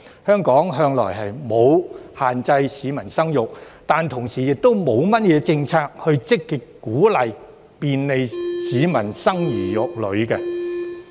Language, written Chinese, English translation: Cantonese, 香港向來沒有限制市民生育，但同時亦沒有甚麼政策，以積極鼓勵、便利市民生兒育女。, All along Hong Kong has not imposed restrictions on birth control but nor has it introduced any policy to actively encourage and facilitate our residents to give birth